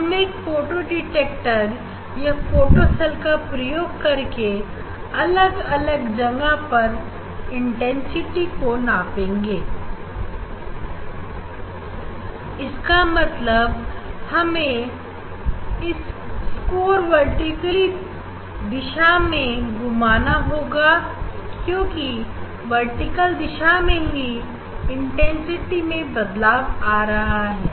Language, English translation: Hindi, Using the photo detector photocell, we will measure, we will measure the intensity at different place different place means you have to move across the vertical direction; across the vertical direction this intensity is varying